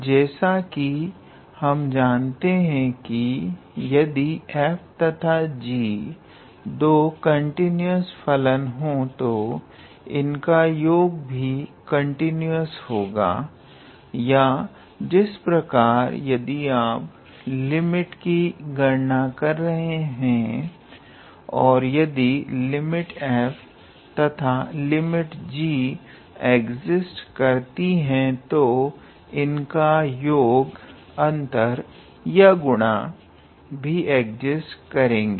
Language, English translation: Hindi, So, we know that if f and g are both how to say continuous, then sum of the continuous functions would also be continuous or how to say if you are calculating the limit then in that case if limit of f and limit of g exist than the sum of their limits or difference of their limits or product of their limits also exist